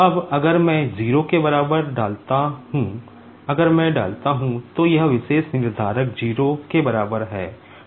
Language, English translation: Hindi, Now, if I put equal to 0, if I put, so this particular determinant equal to 0